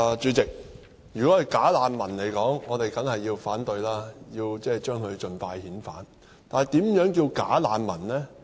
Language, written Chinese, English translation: Cantonese, 主席，如果是"假難民"，我們當然要反對，並且將他們盡快遣返，但何謂"假難民"呢？, President if we are talking about bogus refugees of course we should combat them and sent them back their home countries as soon as possible . But what does it mean by bogus refugee?